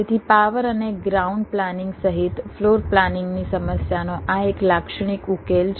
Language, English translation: Gujarati, so this is a typical solution to the floor planning problem, including power and ground planning